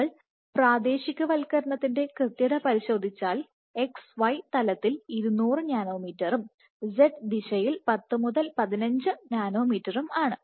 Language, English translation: Malayalam, Because if you look at the localization accuracy this within 20 nanometers in xy plane and 10 to 15 nanometers in z direction